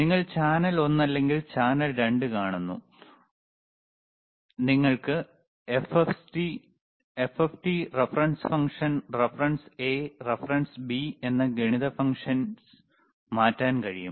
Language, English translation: Malayalam, yYou see channel one or channel 2, you can change the mathematic function FFT, reference function, reference A, a reference bB